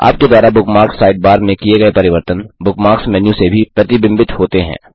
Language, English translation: Hindi, Changes you make in the Bookmarks Sidebar are also reflected in the Bookmarks menu